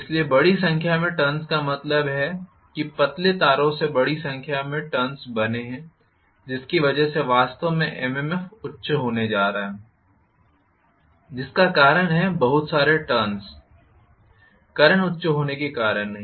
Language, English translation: Hindi, So, large number of turns means I am going to have thin wires made into huge number of turns which is going to make the MMF actually high because of the number of turns being high not because of the current being high